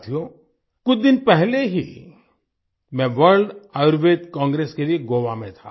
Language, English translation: Hindi, Friends, a few days ago I was in Goa for the World Ayurveda Congress